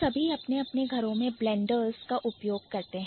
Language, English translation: Hindi, So, all of us we use blenders at our respective houses